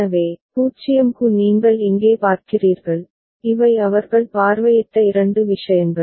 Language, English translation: Tamil, So, that is what you see over here for 0 these are the two things that they have visited